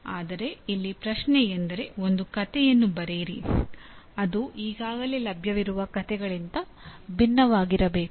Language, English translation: Kannada, But creating, writing a story the question is to write a story which should be different from what is already available